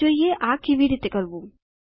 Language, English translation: Gujarati, Lets see how to do this